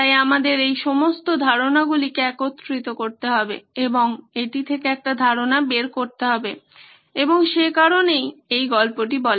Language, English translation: Bengali, So that’s why we need to sort of put all these ideas together and get a concept out of it and that’s why this story